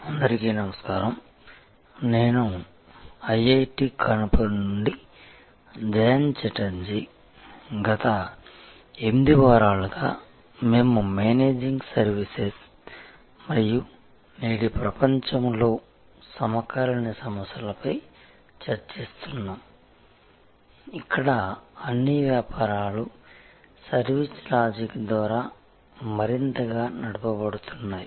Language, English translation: Telugu, Hello, this is Jayanta Chatterjee from IIT Kanpur, for last 8 weeks we have been interacting on Managing Services and the contemporary issues in today’s world, where all businesses are more and more driven by the service logic